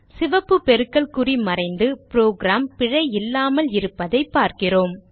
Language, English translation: Tamil, We see that the red cross mark have gone and the program is error free